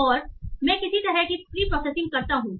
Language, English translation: Hindi, And there I do some sort of pre processing